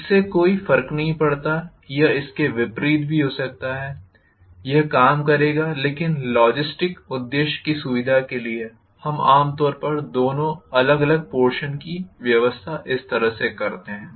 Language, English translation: Hindi, It does not matter even if it is the other way around, it would work but for convenience for logistics purpose generally we tend to arrange the two different systems in two different portions like this